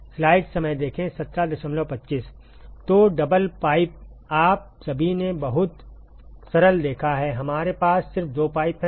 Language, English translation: Hindi, So, double pipe: all of you have seen very simple, we just have two pipes